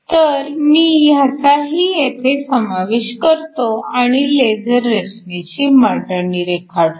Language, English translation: Marathi, So, let me include that as well and draw a schematic of the laser structure